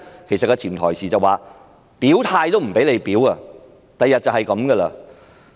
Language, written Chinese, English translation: Cantonese, 其實潛台詞就是連表態也不可，將來就是如此。, In fact the subtext is that even an expression of our stance is not allowed . That will be the case in the future